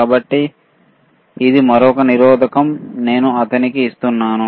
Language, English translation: Telugu, So, this is another resistor that I am giving it to him